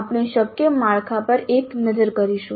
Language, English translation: Gujarati, We will have a look at the possible structures